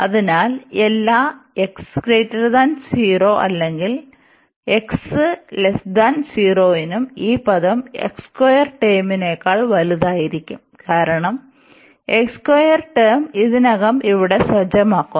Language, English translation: Malayalam, So, for all x greater than 0 or x less than 0 this term is going to be larger than this x square term, because x square term already sets here